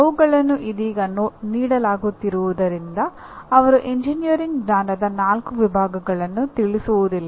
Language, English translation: Kannada, They directly as they are offered right now, they do not address the four categories of engineering knowledge